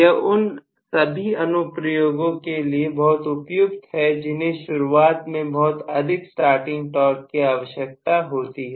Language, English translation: Hindi, It is very very suitable for those applications, which require a very large starting torque right in the beginning